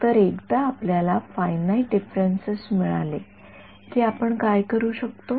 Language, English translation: Marathi, So, once we had the finite differences what could we do